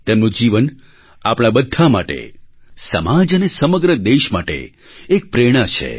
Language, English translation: Gujarati, His life is an inspiration to us, our society and the whole country